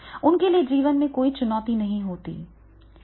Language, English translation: Hindi, For them, there is no challenge in life